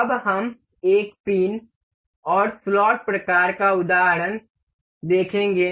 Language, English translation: Hindi, Now, we will see pin and slot kind of example